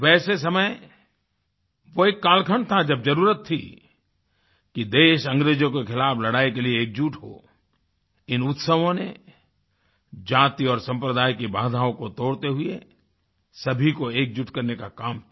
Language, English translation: Hindi, This was the period when there was a need for people to get united in the fight against the British; these festivals, by breaking the barriers of casteism and communalism served the purpose of uniting all